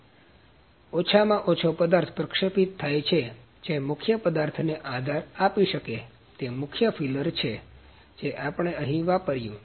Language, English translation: Gujarati, So, as the minimum material is deposited that can support the main material, that is the main filler material that is we used here